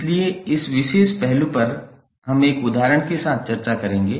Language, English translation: Hindi, So, this particular aspect we will discuss with one example